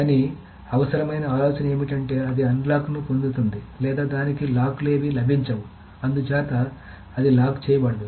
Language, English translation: Telugu, But essential idea is that it either gets all the locks or it gets none of the locks